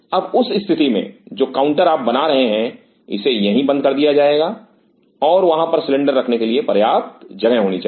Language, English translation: Hindi, Now in that case this counter you are making it will be discontinuous out here and there should be enough space to keep the cylinder